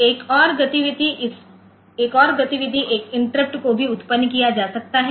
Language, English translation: Hindi, So, or another activity can be an interrupt can be made to generate